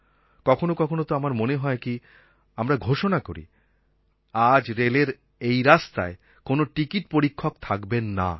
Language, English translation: Bengali, Sometimes I feel that we should publicly announce that today on this route of the railways there will be no ticket checker